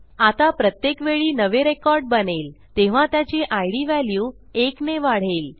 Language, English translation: Marathi, Now, every time a new record is created the id values will increment by one